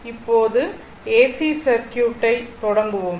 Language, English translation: Tamil, Now, we will start for your AC circuit